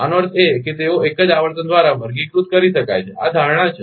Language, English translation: Gujarati, That means, they can be characterized by single frequency this is the assumption